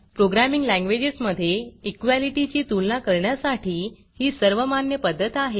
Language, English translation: Marathi, This is the standard way to compare the equality in programming languages